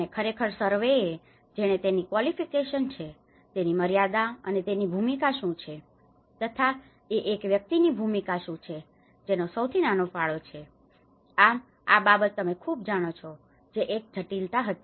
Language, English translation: Gujarati, What is the limitation and what actually the surveyor who have done his qualification and what is his role and a person who has a smallest contribution what is his role, you know this matters a lot, this was a complexity